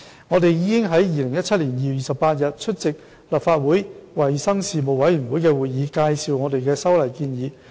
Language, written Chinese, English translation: Cantonese, 我們已於2017年2月28日出席立法會衞生事務委員會的會議，介紹我們的修例建議。, We attended the meeting of the Legislative Council Panel on Health Services on 28 February 2017 to give an introduction on the legislative amendments proposed by us